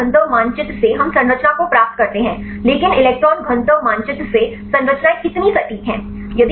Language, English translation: Hindi, From the electron density map we derive the structure, but how accurate the structures from the electron density map